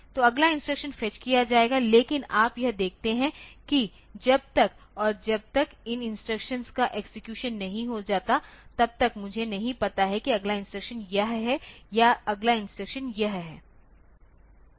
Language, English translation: Hindi, So, the pre the next instruction will be fetched, but you see that until and unless these instructions execution is over I do not know whether the next instruction is this one or the next instruction is this one